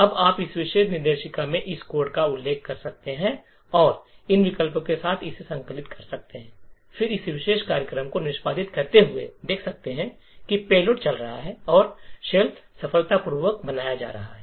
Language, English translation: Hindi, Now you can refer to this code in this particular directory and compile it with these options and then see this particular program executing and have the payload running and the shell getting created successfully